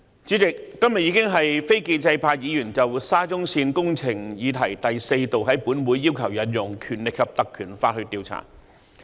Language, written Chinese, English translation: Cantonese, 主席，今天已經是非建制派議員就沙中線工程的議題第四度在立法會要求引用《條例》調查。, President today marks the fourth occasion on which the non - establishment camp has requested the Legislative Council to invoke PP Ordinance to inquire into matters related to SCL